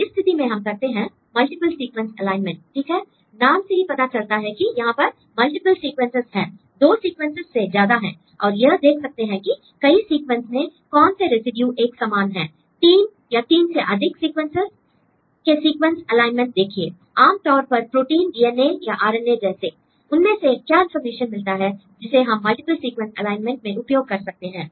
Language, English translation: Hindi, So, in this cases, we do the multiple sequence alignment right the name itself tells this is a multiple sequence we have more than 2 sequences together and you can see whether there is any residues which are similar in different sequences; see the sequence alignment of 3 or more sequences right generally proteins or DNA or RNA or whatever